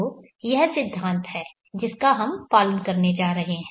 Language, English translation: Hindi, So what is the principle that we are going to follow